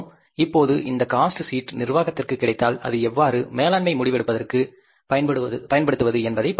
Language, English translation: Tamil, Now this cost sheet, if it is available to the management, how to use this information for the management decision making